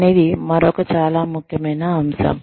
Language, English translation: Telugu, Another very important aspect